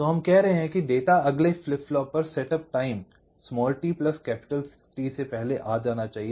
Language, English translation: Hindi, so what we are saying is that data must arrive at the next flip flop, one setup time before t plus t